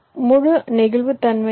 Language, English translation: Tamil, we have entire flexibility